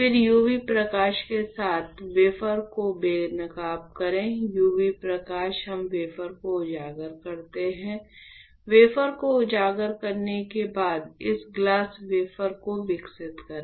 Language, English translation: Hindi, Then you expose the wafer with UV light, UV light we expose the wafer; after exposing wafer you develop this glass wafer